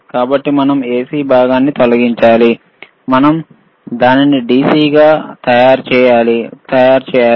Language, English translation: Telugu, So, we have to remove the AC component, and we have to make it DC